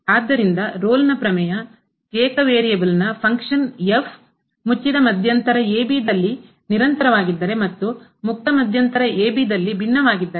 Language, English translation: Kannada, So, Rolle’s Theorem if a function of single variable is continuous in closed interval and differentiable in open interval